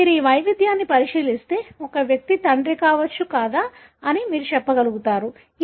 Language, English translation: Telugu, So, if you look into this variation, you will be able to tell whether an individual could be a father or not